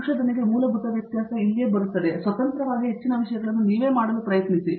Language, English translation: Kannada, To research is the basic difference comes is the, where you try to independently do most of the things yourself